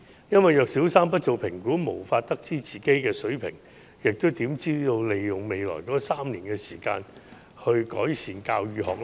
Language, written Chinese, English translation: Cantonese, 如果小三不做評估，便無法得知學生水平，那麼又怎可以利用其後3年的時間改善教與學呢？, If no assessment is conducted at Primary 3 it will be impossible to gauge the level of students . In that case how can improvement in teaching and learning be made in the next three years?